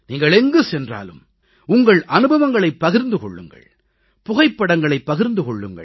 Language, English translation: Tamil, Wherever you go, share your experiences, share photographs